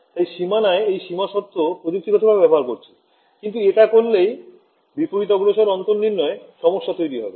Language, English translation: Bengali, So, I am going to impose this boundary condition technically it should be on the boundary, but doing that has this problem of backward difference